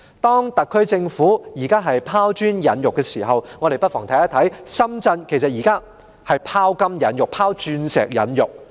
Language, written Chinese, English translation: Cantonese, 當特區政府拋磚引玉之際，我們看到深圳現時其實已在"拋金引玉"、"拋鑽引玉"。, While the SAR Government is throwing a sprat to catch a mackerel we see that now Shenzhen is actually casting gold and diamond